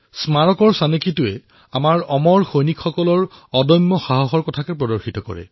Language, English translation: Assamese, The Memorial's design symbolises the indomitable courage of our immortal soldiers